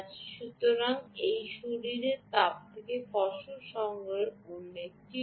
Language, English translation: Bengali, so this is another way of harvesting from body heat